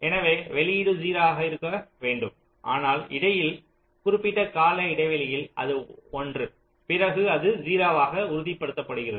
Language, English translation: Tamil, so the output should be zero, but in between it is going to one periodically, then it is stabilizing to zero